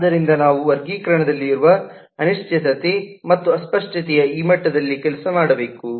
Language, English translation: Kannada, so we will have to work within this level of uncertainty and ambiguity that exists in classification